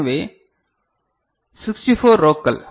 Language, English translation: Tamil, So, 64 rows right